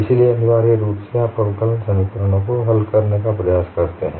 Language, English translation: Hindi, So, essentially you attempt to solve differential equations